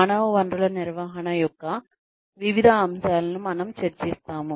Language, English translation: Telugu, We have been discussing, various aspects of human resources management